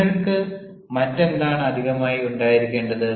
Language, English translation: Malayalam, what other additional things you should have